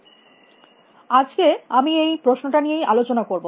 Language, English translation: Bengali, So, that is the question I am driving at today